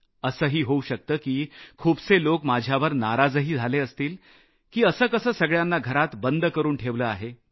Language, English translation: Marathi, It is possible that many are annoyed with me for their confinement in their homes